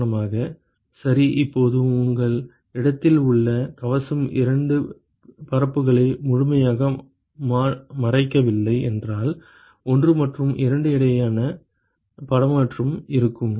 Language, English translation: Tamil, Now supposing if the shield at your place does not completely cover the 2 surfaces, then there will be exchange between 1 and 2